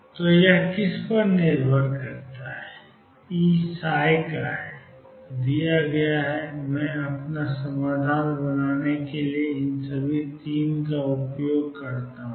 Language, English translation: Hindi, So, depending on what; E is psi prime is given and I use all these 3 to build up my solution